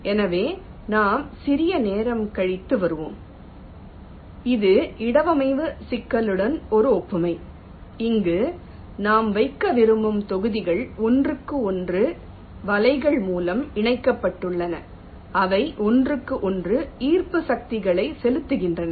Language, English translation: Tamil, this is a analogy with respect to the placement problem, where we say that the blocks that we want to place, which are connected to each other by nets, they exert attractive forces on each other